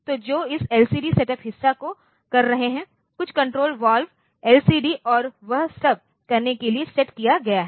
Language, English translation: Hindi, So, which will be doing this LCD setup part, some control valves have be set to LCD and all that